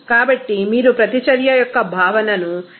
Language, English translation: Telugu, So, you have to use that concept of extent of reaction here